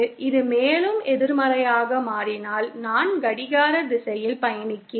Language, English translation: Tamil, If it becomes more negative, then I am travelling in clockwise direction